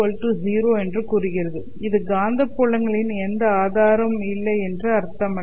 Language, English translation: Tamil, It does not mean that there is no source of magnetic fields